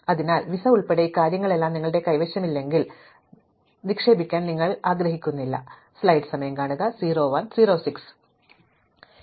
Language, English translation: Malayalam, So, unless you have all these things including the visa in hand, you do not want to invest in the gift